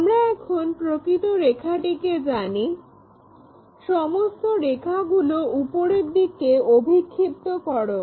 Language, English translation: Bengali, Because we already know this true line now, project all these lines up in that way we project these lines